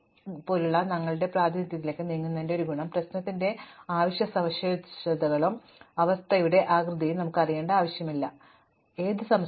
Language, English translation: Malayalam, So, one of the advantages of moving to a representation such as a graph is that we have thrown away all the inessential features of the problem, we do not need to know the shape of this state, we do not need to know its size